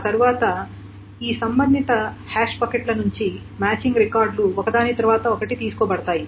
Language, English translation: Telugu, And then from each of these hash buckets, the matching records are picked up one after another